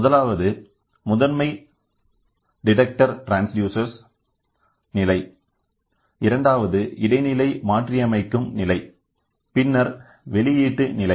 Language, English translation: Tamil, First is, primary detector transducer stage, then intermediate modifying stage and then output stage